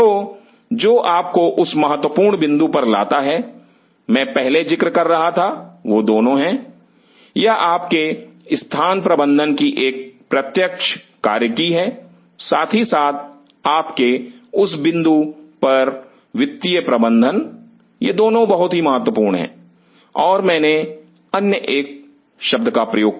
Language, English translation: Hindi, So, that brings you to that critical point what I was mentioning earlier is both this is a direct function of your space management as well as your, at that point financial management, these 2 are very critical and I used another one word